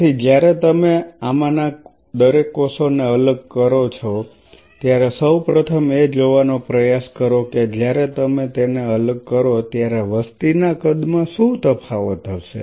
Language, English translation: Gujarati, So, each one of these cells first of all when you isolate the cells try to see when you dissociate them what are the size difference in the population